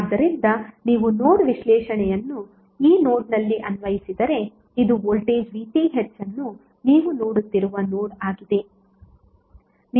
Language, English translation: Kannada, So if you apply the nodal analysis at this node because this is the node where you are seeing the voltage VTh